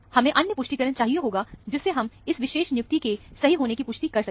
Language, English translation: Hindi, We need another confirmation, to make sure that this assignment is correct